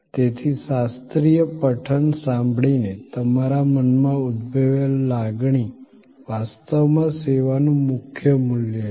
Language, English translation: Gujarati, So, the emotion evoked in your mind, hearing a classical recital is actually the core value deliver by the service